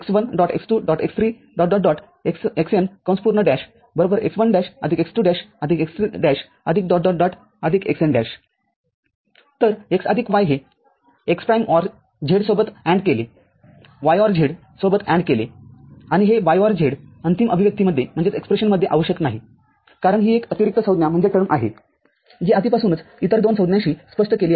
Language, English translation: Marathi, So, x plus y, ANDed with x prime OR z, ANDed with y OR z and this y OR z is not required in the final expression because this is an additional term which is already explained by other two terms